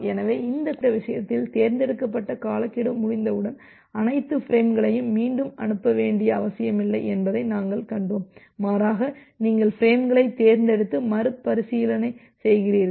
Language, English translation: Tamil, So, what we have seen that in this particular case in case of selective repeat, you do not need to need to retransmit all the frames once there is a timeout, rather you selectively retransmit the frames